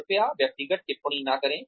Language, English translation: Hindi, Please do not make personal comments